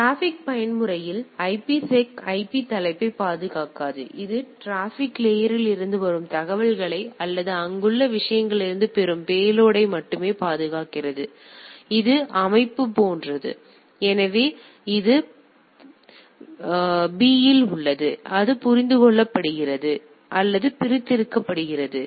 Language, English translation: Tamil, So, in transport mode IPSec in the transport mode does not protect the IP header; it only protects the information coming from the transport layer or the payload which is getting from the things right here the it is structure is like this; so, it is there at the host B it is deciphered or extracted in this per se